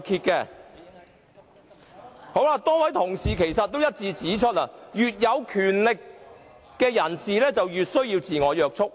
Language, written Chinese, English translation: Cantonese, 多位同事一致指出，越有權力的人，越需要自我約束。, Many colleagues have unanimously pointed out that the more power one has the more self - restraint he must exercise